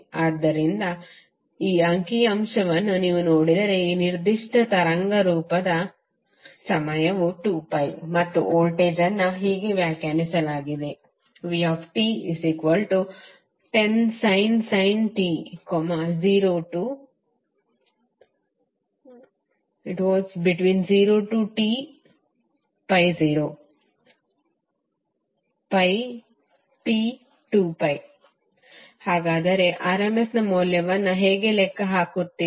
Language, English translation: Kannada, So if you see this figure you will come to know that the time period of this particular waveform is also 2pi and the voltage is defined as 10 sin t for 0 to pi and it is 0 between pi to 2pi